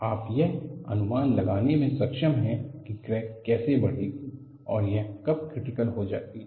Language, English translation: Hindi, You are able to predict how the crack will grow and when does it become critical